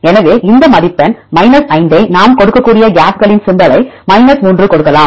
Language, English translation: Tamil, So, we can give this score 5 the gaps symbol we give 3